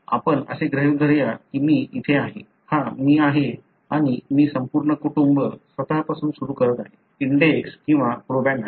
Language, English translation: Marathi, Let us assume that I am here, this is me and I am starting the entire family with myself, being the index or proband